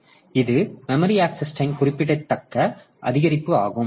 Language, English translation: Tamil, So, that's a significant increase in the memory access time